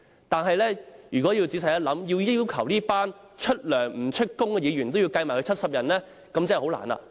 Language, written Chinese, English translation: Cantonese, 但如果仔細想一想，要求把這些出糧不出勤的議員，算入70人內，便真的很困難。, But on second thought it is really difficult to count these paid but absent Members in that group of 70 Members